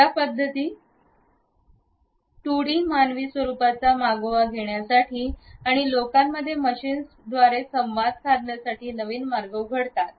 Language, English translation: Marathi, These methods for tracking 2D human form or motion open up new ways for people and machines to interact